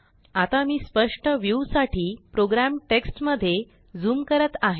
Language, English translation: Marathi, Let me zoom into the program text to have a clear view